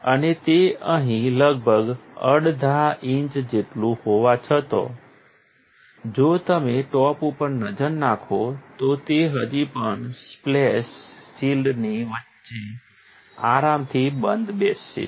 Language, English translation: Gujarati, And, even though it is about approximately 7 half inches across here, if you look through the top, it still comfortably fits in between the splash shield